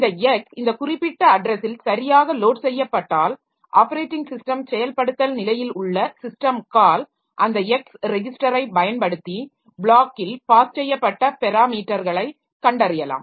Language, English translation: Tamil, So when this X is properly loaded with this particular, then at the operating system implementation level of the system call, so it can use that X register to locate the parameters that have been passed in the block